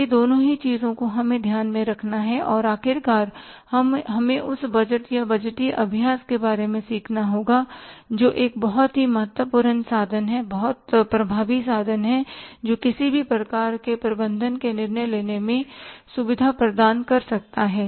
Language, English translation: Hindi, So both of the things we have to keep in mind and we have to finally learn about that budgeting or the budgetary exercise is a very, very important tool, very effective tool which can facilitate any kind of management decision making